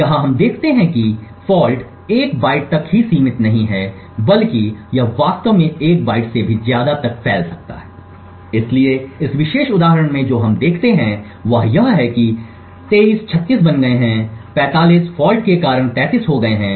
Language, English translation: Hindi, Here we see that the fault is not restricted to a single byte but rather it could actually spread to more than 1 byte so in this particular example what we see is that 23 has become 36 similarly 45 has changed to 33 due to this multiple faults